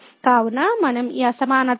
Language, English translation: Telugu, So, we can use this inequality there